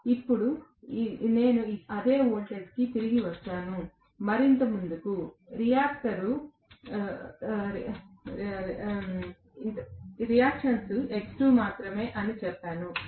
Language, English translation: Telugu, Now, I have come back to the same voltage and I said that previously, the reactance was only X2